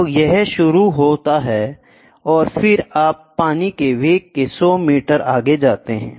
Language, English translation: Hindi, Now it starts, and then you take for after 100 meter the velocity of the water